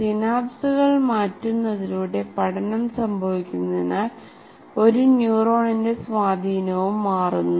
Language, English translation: Malayalam, Learning occurs by changing the synapses so that the influence of one neuron on another also changes